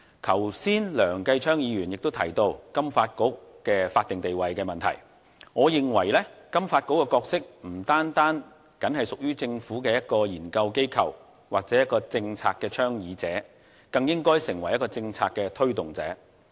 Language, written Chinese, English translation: Cantonese, 剛才梁繼昌議員提到金發局的法定地位問題，我認為金發局的角色不僅只屬於一個政策研究機構或政策倡議者，它更應成為政策推動者。, Just now Mr Kenneth LEUNG mentioned the statutory role of FSDC . I consider that the role of FSDC should not be limited to that of a policy research body or a policy proponent and it should become a policy promoter